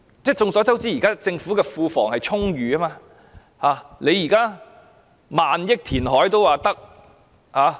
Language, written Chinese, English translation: Cantonese, 眾所周知，現時政府庫房充裕，用萬億元填海也可以。, As we all know now the Government has an overflowing Treasury and can spend thousands of billion dollars on reclamation